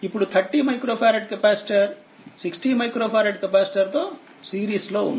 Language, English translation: Telugu, Now 30 micro farad capacitor in series with 60 micro farad capacitor